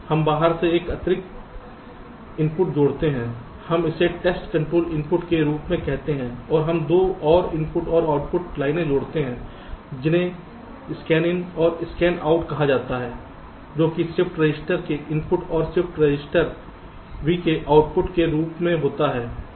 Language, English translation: Hindi, we call it as the test control input and we add two more input and output lines called scanin and scanout as the input of the shift register and the output of the shift register